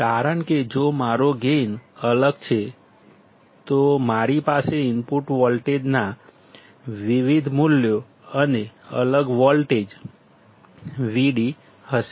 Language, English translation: Gujarati, Because, if my gain is different, then I will have different values of input voltage and a different voltage V d